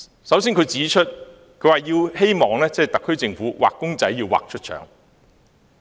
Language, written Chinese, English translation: Cantonese, 首先，他希望特區政府"畫公仔畫出腸"。, To begin with he asked the SAR Government to state the obvious